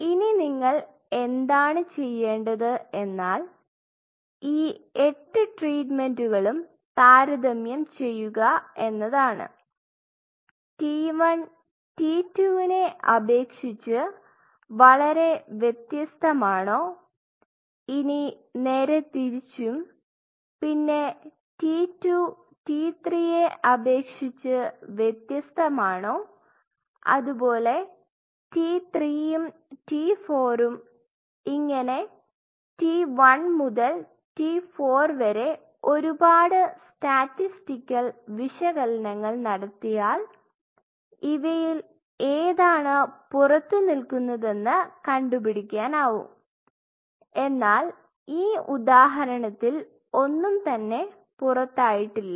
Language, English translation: Malayalam, Now, what you have to do all these eight treatments you have to do a comparison, is it significantly different like is T 1 significantly different from T 2 vice versa, T 2 significantly different T 3, T 3 to T 4 likewise since T 1 to T 4 and you have to do a whole lot of statistical analysis to come to the point that out of all these things which one stands out or nothing stands out based on that see say for example, we say ok